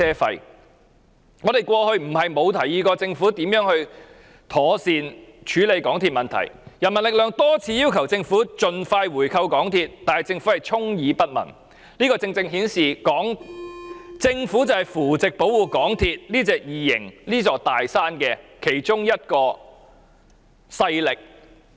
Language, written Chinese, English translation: Cantonese, 其實，我們過往並非沒有建議政府如何妥善處理港鐵的問題，人民力量曾多次要求政府盡快回購港鐵，但政府卻充耳不聞，這正正顯示政府就是扶植和保護港鐵這隻異形、這座"大山"的其中一個勢力。, In fact in the past we did propose to the Government how the problems of MTRCL should be addressed properly . The People Power has made repeated requests urging the Government to buy back MTRCL as soon as possible yet the Government has simply turned a deaf ear to all of these . It is evident that the Government is one of the forces nurturing and protecting this alien this big mountain